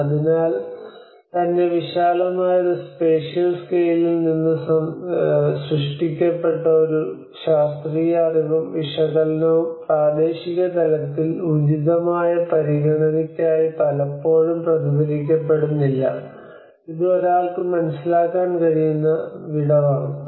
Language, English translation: Malayalam, So and also there is a scientific knowledge which has been generated from a very vast spatial scales of study and analysis is often not reflected for appropriate considerations at local level, this is the gap one can understand